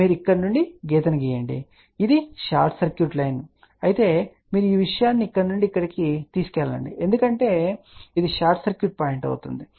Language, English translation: Telugu, You draw the line from here and if it is a short circuit line you take this thing from here to this because this is a short circuit point